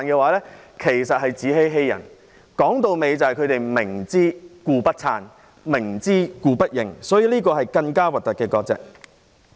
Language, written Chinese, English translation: Cantonese, 歸根究底，他們只是明知故不撐，明知故不認，這是更醜陋的割席。, After all they knowingly did not back up those people and they knowingly refused to identify those people . This is an uglier form of severing ties